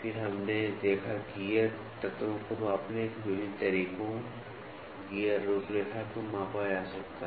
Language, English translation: Hindi, Then various methods of measuring gears elements we saw, gear profile can be measured